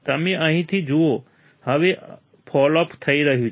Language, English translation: Gujarati, You see from here, now the fall off is occurring right